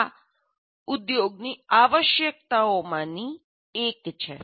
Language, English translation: Gujarati, This is one of the requirements of the industry